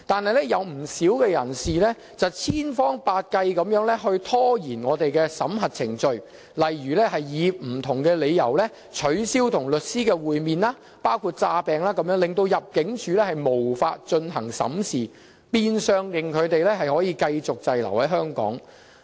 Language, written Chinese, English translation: Cantonese, 可是，有不少人士千方百計拖延審核程序，例如以不同理由取消與律師會面，包括裝病，令入境事務處無法進行審視，變相令他們能繼續滯留香港。, However many of them have exploited every means to prolong the screening procedures such as cancelling meetings with lawyers for different reasons including pretending to be ill so that the Immigration Department cannot carry out any screening rendering them able to go on staying in Hong Kong